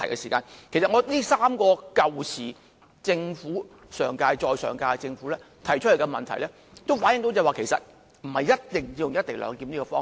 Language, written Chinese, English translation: Cantonese, 這3個由上屆再上屆的政府提出來的問題，反映到不一定要採用"一地兩檢"的方式。, These three issues brought out by the government of the term before last reflected that co - location is not a must